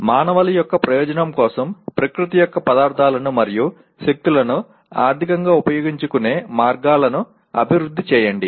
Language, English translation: Telugu, Develop ways to utilize economically the materials and forces of nature for the benefit of mankind